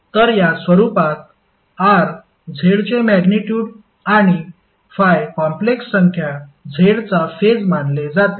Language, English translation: Marathi, So in this form r is considered to be the magnitude of z and phi is the phase of the complex number z